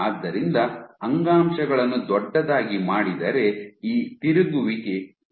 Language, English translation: Kannada, So, if you make your tissues bigger and bigger then this rotation will stop